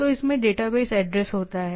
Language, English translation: Hindi, So, it contains the database address